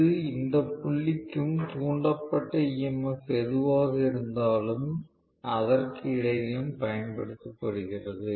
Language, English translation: Tamil, That is being applied between this point and whatever is the induced EMF